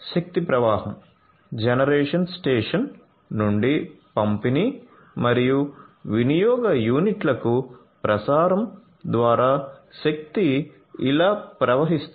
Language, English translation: Telugu, So, power flow is there so, starting from the generation station through the transmission to the distribution and consumption units the power flows like this